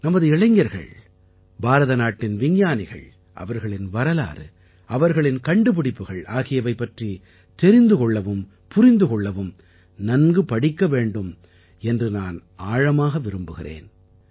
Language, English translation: Tamil, I definitely would want that our youth know, understand and read a lot about the history of science of India ; about our scientists as well